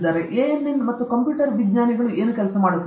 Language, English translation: Kannada, ANN and all this computer science people are doing